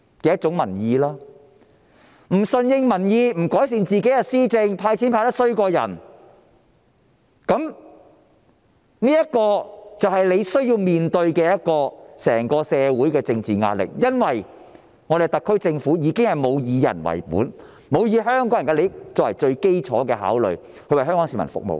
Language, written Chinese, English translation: Cantonese, 政府不順應民意、不改善施政、"派錢"派得比人差，政府便須面對來自整個社會的政治壓力，因為特區政府已經沒有"以人為本"，沒有以香港人的利益作為最基礎的考慮，為香港市民服務。, The Government does not listen to the people does not improve governance and fails to hand out relief money efficiently . The SAR Government has to face political pressure from the entire society because it does not put people first . Nor does it regard the interests of Hong Kong people as its primary consideration when serving the community